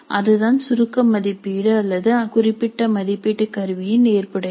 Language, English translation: Tamil, So, that is the validity of the summative assessment or a particular assessment instrument